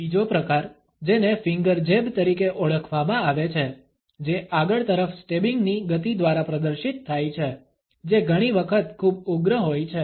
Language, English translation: Gujarati, Another variation is known as the finger jab, which is displayed by a stabbing forward motion, which is often pretty fierce